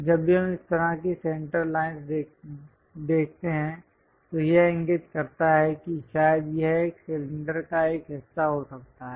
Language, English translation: Hindi, Whenever we see such kind of center lines, that indicates that perhaps it might be a part of cylinder